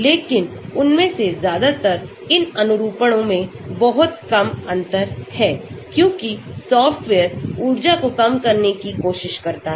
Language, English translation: Hindi, But, most of them are almost same very little differences in these conformations because the software tries to minimize the energy